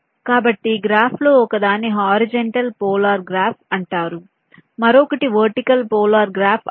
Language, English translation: Telugu, so one of the graph is called horizontal polar graph, other is called vertical polar graph